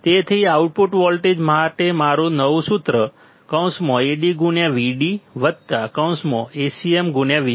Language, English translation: Gujarati, So, my new formula for the output voltage will be Ad into Vd plus Acm into V cm